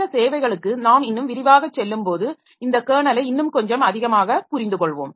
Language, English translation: Tamil, So we'll understand this kernel slightly more when we go to these services in more detail